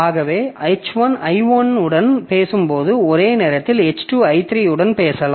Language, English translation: Tamil, So, when H1 is talking to I1 simultaneously H2 may be talking to I3